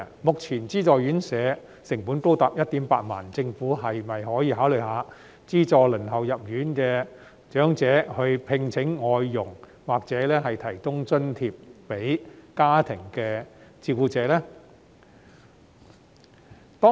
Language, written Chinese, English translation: Cantonese, 目前資助院舍宿位的成本高達 18,000 元，政府可否考慮資助輪候入住院舍的長者聘請外傭，或為家庭照顧者提供津貼呢？, Given that the cost of a place in subvented RCHs is currently as high as 18,000 can the Government consider subsidizing elderly persons waiting for residential care places to hire foreign domestic helpers or providing subsidies for family carers?